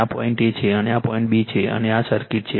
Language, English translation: Gujarati, This is the point A, and this is the point B, and this is the circuit